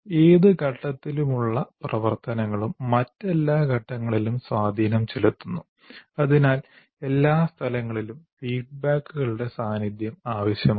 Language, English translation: Malayalam, Activities any phase have impact on all other phases and hence the presence of feedbacks at all places